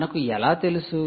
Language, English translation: Telugu, and why did we